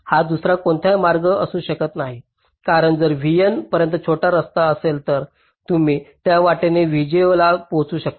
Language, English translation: Marathi, only it cannot be some other path, because if there is a shorter path up to v n, then you could have reached v j via that path